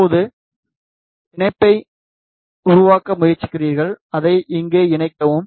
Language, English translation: Tamil, Now, you try to make the connection make this connection connected here